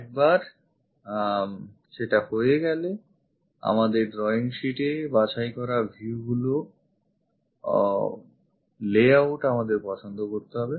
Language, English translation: Bengali, Once that is done we have to choose the layout of the selected views on a drawing sheet